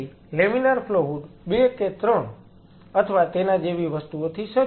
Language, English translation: Gujarati, So, laminar flow hood will be equipped with 2 3 things or So